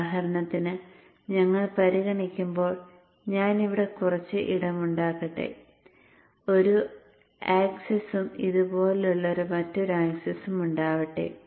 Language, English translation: Malayalam, For example, when we consider, let me make some space here, yeah, and let me have the axis, let us have one axis like this and another axis like this